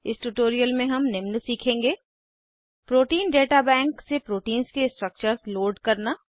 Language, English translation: Hindi, In this tutorial, we will learn to * Load structures of proteins from Protein Data Bank